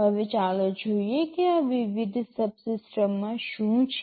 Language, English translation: Gujarati, Now, let us see what these different subsystems contain